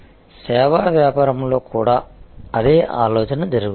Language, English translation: Telugu, The same think happens in service business as well